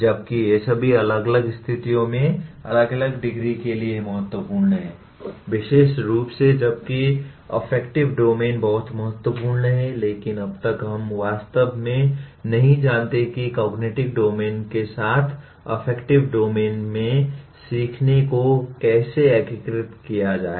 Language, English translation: Hindi, While all the all of them are important to varying degrees in different situations, especially while affective domain is very important but as of now we really do not know how to integrate the learning in the affective domain with the cognitive domain